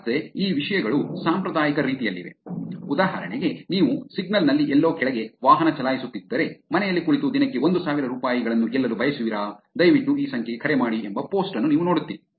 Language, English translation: Kannada, Again these things have been in traditional ways for example, if you are driving down somewhere in the signal, you will see a post which says, ‘want to won 1000 Rupees a day sitting at home please call this number’ these kind of scams are being there